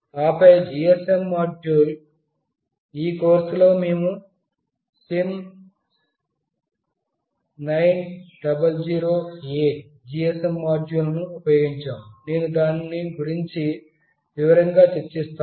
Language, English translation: Telugu, And then the GSM module; in this course, we have used the SIM900A GSM module, which I will be discussing in detail